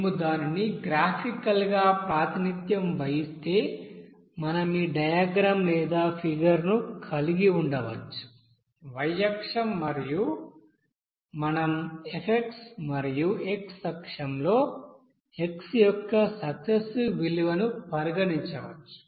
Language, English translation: Telugu, Now if we represent it graphically, we can then have this you know diagram or figure here like this, the y axis we can, you know consider f and in x axis that is x successes value of you know x here